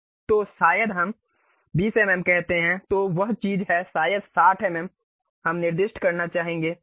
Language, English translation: Hindi, So, maybe let us say 20 mm, then that is the thing; maybe 60 mm we would like to specify